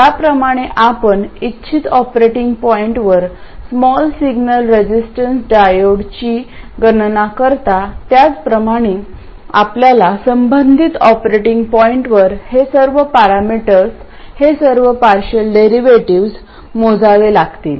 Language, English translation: Marathi, So just like you calculate the small signal resistance of a diode at the desired operating point, you have to calculate all these parameters, these partial derivatives, at the relevant operating point